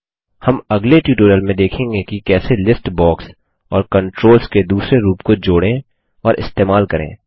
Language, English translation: Hindi, We will see how to add and use a list box and other form controls in the next tutorial